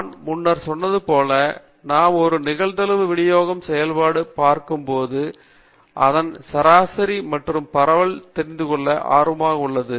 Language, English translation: Tamil, And as I said earlier, whenever we look at a probability distribution function we are interested in knowing its average and also the spread